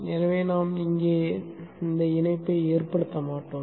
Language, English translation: Tamil, Therefore we will not make the connection here